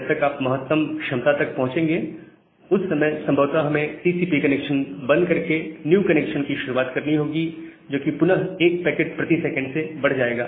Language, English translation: Hindi, So, by the time, you will reach at the maximum capacity, we will probably close the TCP connection, and start again a new connection, which will again increase from one packet per second